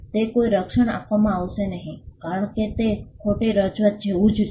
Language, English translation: Gujarati, That will not be granted a protection as it amounts to false representation